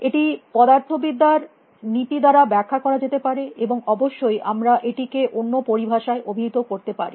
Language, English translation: Bengali, It can be explained by the laws of physics, and of course, we may call it in different terms